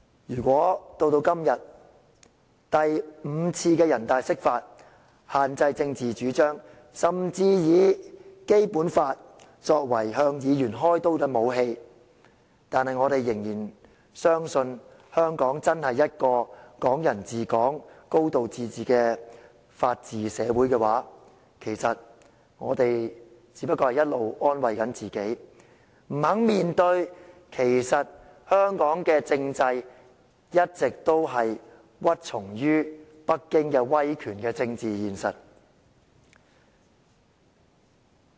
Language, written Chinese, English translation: Cantonese, 如果到了今天，我們眼見北京以第五次人大釋法限制政治主張，甚至以《基本法》作為向議員開刀的武器，但仍然相信香港真是一個"港人治港"、"高度自治"的法治社會，我們只是一直安慰自己，不敢面對香港的體制其實一直屈從於北京威權的政治現實。, If today seeing how Beijing restricts political advocacies by using the fifth interpretation of the Basic Law and even using the Basic Law as a weapon to target Members we still believe Hong Kong is a society under the rule of law where Hong Kong people ruling Hong Kong with a high degree of autonomy we will be just comforting ourselves daring not to confront the political reality that the institutions in Hong Kong have succumbed to the authority of Beijing